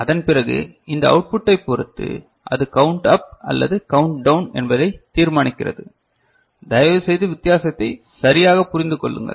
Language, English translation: Tamil, And after that depending on this output so, it decides whether it will go for a up count or it will go for a down count, please understand the difference right